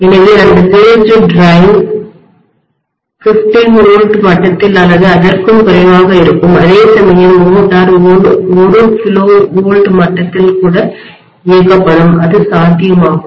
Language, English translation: Tamil, So that based drive it will be at 15 volts level or even less whereas the motor will be operated probably at even 1 kilovolt level, it is possible